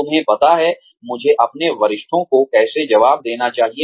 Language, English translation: Hindi, You know, how I am supposed to respond, to my superiors